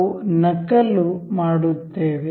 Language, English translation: Kannada, We will make a copy